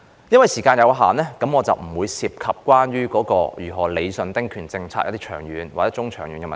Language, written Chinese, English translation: Cantonese, 由於時間有限，我今天不會談及有關如何理順中、長遠丁權政策的問題。, Due to the time constraint I will not talk about how to rationalize the medium and long - term ding rights policy today